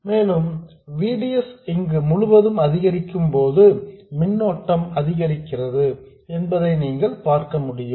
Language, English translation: Tamil, And you can see that as VDS increases this entire thing, the current increases